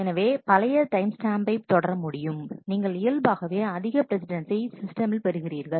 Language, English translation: Tamil, So, by carrying your older timestamp, you inherently bring in a higher precedence in the system